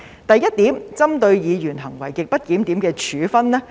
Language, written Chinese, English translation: Cantonese, 第一點是針對議員行為極不檢點的處分。, Firstly it is sanction against grossly disorderly conduct of Members